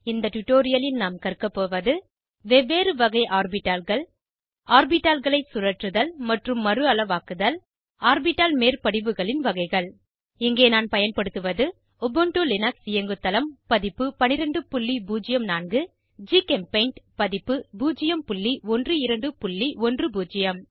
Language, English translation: Tamil, In this tutorial, we will learn * About different types of orbitals * Rotation and resize of orbitals * Types of orbital overlaps Here I am using Ubuntu Linux OS version 12.04